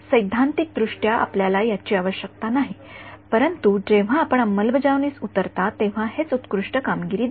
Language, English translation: Marathi, Theoretically you need do not need this, but when you get down to implementation this is what gives the best performance